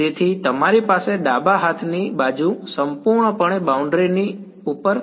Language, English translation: Gujarati, So, you have the left hand side is purely over the boundary